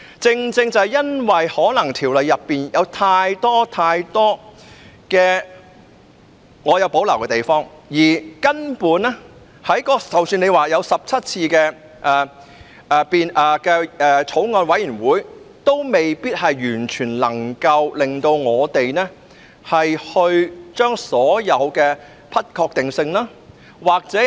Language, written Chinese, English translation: Cantonese, 正正因為我們對《條例草案》太多條文有所保留，即使曾經進行17次法案委員會會議，也未必能夠令我們完全接受所有的不確定性。, It is exactly out of our reservation on too many clauses in the Bill that despite 17 meetings of the Bills Committee being held we still could not be fully convinced to accept all uncertainties